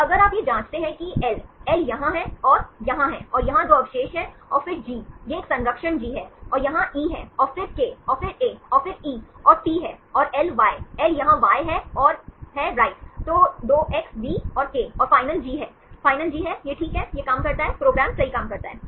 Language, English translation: Hindi, So, if you check this is L, L is here and the I is here and 2 residues here and then G, this is a conserve G it is here, and E is here and then K and then A and then E and T and L Y, L is here Y is here and I right, then 2x, V and K and final G, is final G, that is fine, this works, right the program works